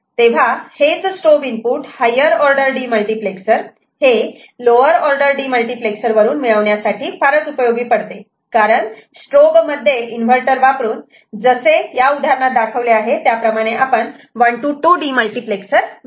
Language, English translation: Marathi, So, this strobe input can be useful in getting a higher order demultiplexer from a lower order demultiplexer, because within the strobe by using a inverter the way we show here in this example, we can get a 1 to 2 demultiplexer made